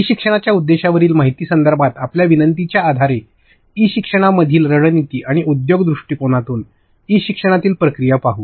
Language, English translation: Marathi, Based on your requests regarding information on purpose of e learning, strategies in e learning and processes in e learning from industry per perspective